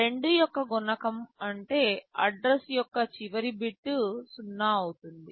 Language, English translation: Telugu, Multiple of 2 means the last bit of the address will be 0